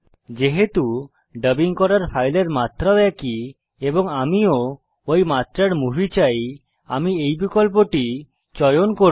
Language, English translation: Bengali, As the file to be dubbed is also of this dimension and as I want the dubbed movie to have the same dimensions, I will choose this option